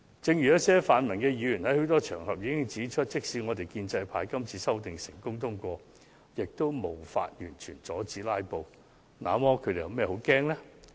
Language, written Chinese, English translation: Cantonese, 正如一些泛民議員也曾在多個場合指出，即使建制派今次的修正案成功獲得通過，也無法完全阻止他們繼續"拉布"。, Just as some Members belonging to the pan - democratic camp have remarked on various occasions even if the amendments currently proposed by Members of the pro - establishment camp have successfully gained passage they will not be able to completely stop them from continuing to filibuster at meetings